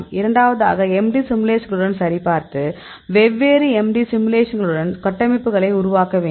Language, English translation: Tamil, Then second we can validate with the MD simulations; do the different MD simulation structures